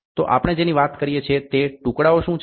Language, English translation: Gujarati, So, what are these pieces we are talking about